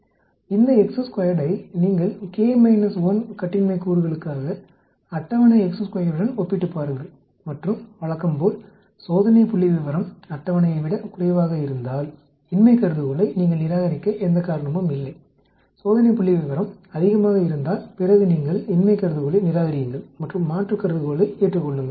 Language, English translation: Tamil, Then you compare this chi square with the table chi square for K minus 1degrees of freedom and as usual if the test statistics is less than table, there is no reason for you to reject the null hypothesis, if the test statistics is greater then you need to reject the null hypothesis and accept the alternate hypothesis